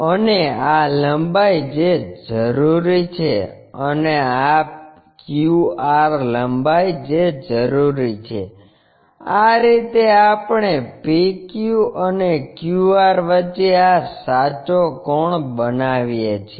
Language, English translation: Gujarati, And this length what is required, and this QR length what is required, this is the way we construct this true angle between PQ and QR